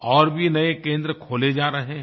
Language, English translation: Hindi, More such centres are being opened